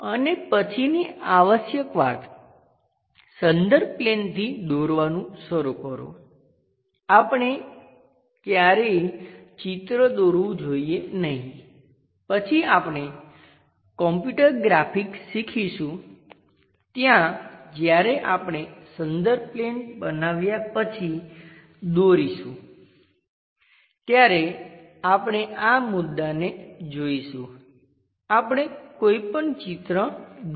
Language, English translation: Gujarati, And the next one essential thing; start drawing from the reference planes, we should never draw a picture later we will learn a computer graphics there we will clearly see this issue when we are drawing after constructing reference plane we will be in a position to draw any picture